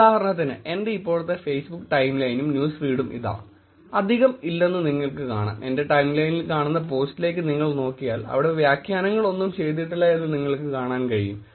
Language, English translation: Malayalam, For example here is my Facebook timeline for now and newsfeed, if you see there is no many, if you look at the post there is no annotations done in the posts that you can see on my timeline